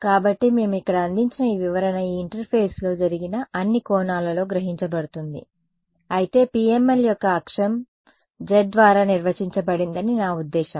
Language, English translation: Telugu, So, this interpretation that we had over here this is absorbing at all angles that are incident on this interface, but I mean the axis of PML is defined by z